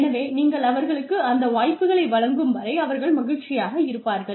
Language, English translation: Tamil, So, as long as you give those opportunities to them, they will be happy